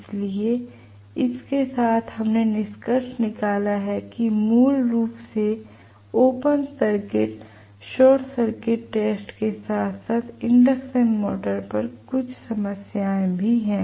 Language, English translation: Hindi, So, with this we have concluded basically open circuit short circuit test as well as couple of problems on induction motor, okay